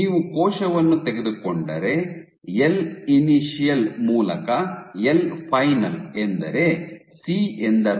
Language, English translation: Kannada, C is if you take the cell the L final by L initial is what is C